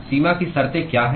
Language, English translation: Hindi, What are the boundary conditions